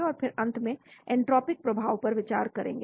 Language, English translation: Hindi, And then finally consider entropic effect